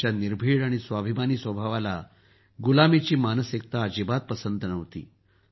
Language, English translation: Marathi, His fearless and selfrespecting nature did not appreciate the mentality of slavery at all